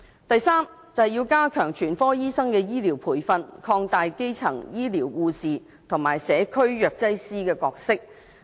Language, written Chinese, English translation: Cantonese, 第三，加強全科醫生的醫療培訓，擴大基層醫療護士及社區藥劑師的角色。, The third one is enhancing the training of general practitioners and expanding the role of primary care nurses and community pharmacists